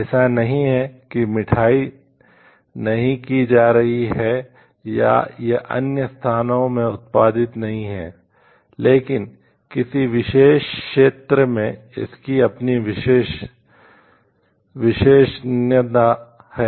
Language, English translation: Hindi, It is not that the sweet is not being done or it is not produced in other locations, but in a particular area it has it is own expertise